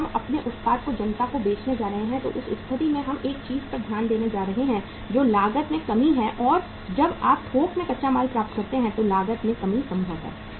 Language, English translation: Hindi, When we are going to sell our product to the masses in that case we are going to focus upon one thing that is cost reduction and the cost reduction is possible when you acquire the raw material in bulk